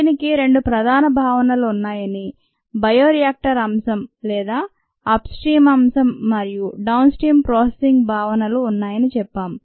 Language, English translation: Telugu, we said that it has two major aspects: the bioreactor aspect or the upstream aspect, and the downstream processing aspects